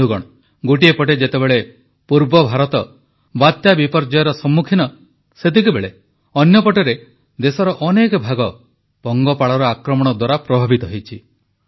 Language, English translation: Odia, on the one side where Eastern India is facing cyclonic calamity; on the other many parts of the country have been affected by locust attacks